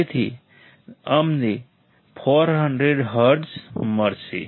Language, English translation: Gujarati, So, we will get 400 hertz